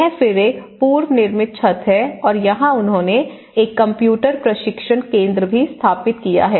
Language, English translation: Hindi, And this is again a prefabricated trussed roof and here they have actually established a training center even computer training center as well